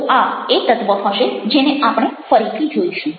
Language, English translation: Gujarati, so that will be an element which will be taking up again